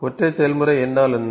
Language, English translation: Tamil, What is single process